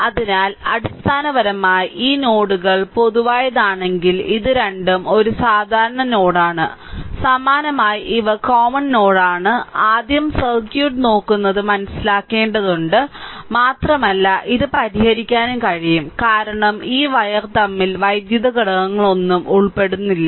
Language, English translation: Malayalam, So, basically if these nodes are common this 2 are it is a common node, similarly these is common node little bit you have to first understand looking at the circuit and the you can solve it because no electrical element is involve between in this wire and here also right